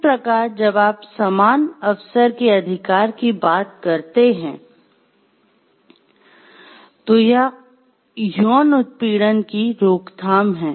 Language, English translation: Hindi, So, this type and when you talk of right to equal opportunity it is the prevention of sexual harassment